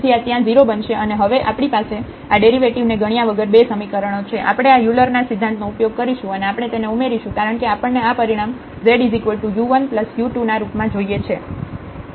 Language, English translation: Gujarati, So, this will become 0 there and now we have these 2 expressions directly without computing these derivatives here, we have used this Euler’s theorem and we can add them because we want to get this result in terms of z there is u 1 plus u 2